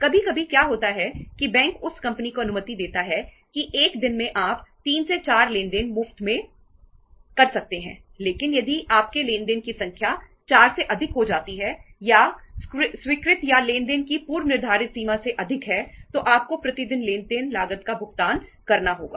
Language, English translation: Hindi, Sometime what happens that bank allows the company that in a day you are allowed to have 3 to 4 transactions as free but if you your number of transactions increase beyond 4 or the sanctioned or the pre agreed limit of the transactions then you have to pay the cost per transaction